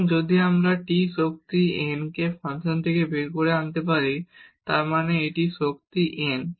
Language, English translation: Bengali, And, if we can bring this t power n out of the function; that means, this t power n